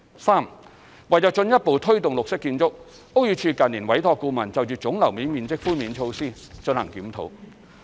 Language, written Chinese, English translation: Cantonese, 三為進一步推動綠色建築，屋宇署近年委託顧問就總樓面面積寬免措施進行檢討。, 3 To further promote green buildings BD has commissioned a consultant to review the measures for granting GFA concessions